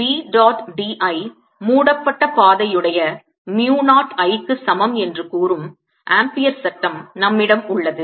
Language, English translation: Tamil, we have ampere's law that says integral b dot d l is equal to mu, not i, enclosed by that path